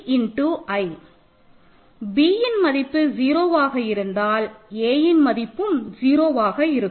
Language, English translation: Tamil, Also because b is 0 a times one is equal to 0